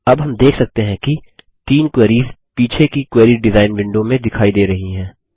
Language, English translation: Hindi, For now, let us see the bottom half of the Query design window